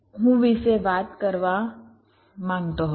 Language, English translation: Gujarati, this is i wanted to talk about